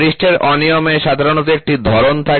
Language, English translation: Bengali, Surface irregularities generally have a pattern